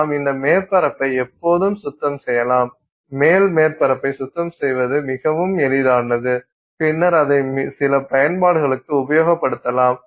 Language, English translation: Tamil, You can clean the top surface, it's much much much easier for you to clean the top surface and then you put it to some application